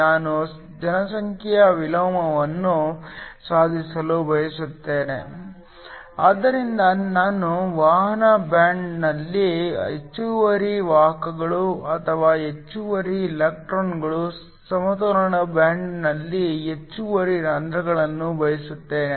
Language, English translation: Kannada, We want to achieve population inversion so we want excess carriers or excess electrons in the conduction band, excess holes in the balance band